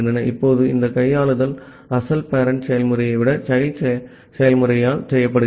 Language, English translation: Tamil, Now this handling is done by a child process rather than the original parent process